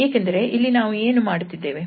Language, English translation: Kannada, Because here what we are doing